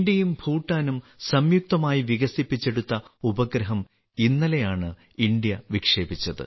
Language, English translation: Malayalam, Just yesterday, India launched a satellite, which has been jointly developed by India and Bhutan